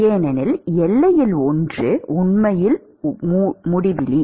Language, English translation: Tamil, Because one of the boundary is actually infinity